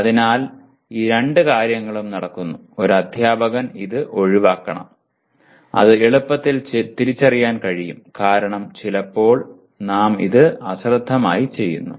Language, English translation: Malayalam, So both these things, both the types of things are being done and a teacher should avoid this and that can be easily identified because sometimes we do it inadvertently